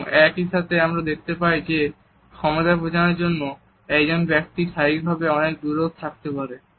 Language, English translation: Bengali, And at the same time we find that in order to assert power a person can also be very physically distant